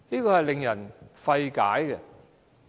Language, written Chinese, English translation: Cantonese, 這是令人費解的。, These are hard to understand